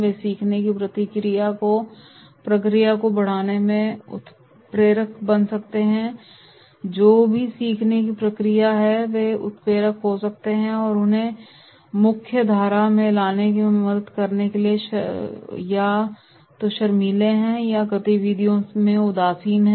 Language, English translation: Hindi, They can become catalyst in promoting the learning process, whatever learning process is there they can be catalyst and they help us in bringing into the mainstream those who are either shy or disinterested in the activities